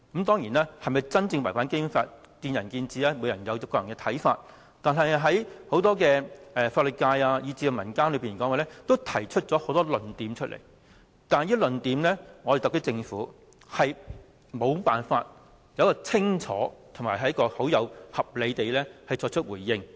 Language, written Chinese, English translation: Cantonese, 當然，是否真正違反《基本法》見仁見智，各人有各自的看法，但對於法律界和民間提出的很多論點，特區政府均無法清楚、合理地作出回應。, Whether the co - location arrangement has truly breached the Basic Law is a matter of opinion and each person can have his own views . However when facing the arguments raised by the legal profession and the public the Government is unable to give clear and reasonable responses